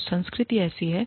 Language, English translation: Hindi, So, the culture is such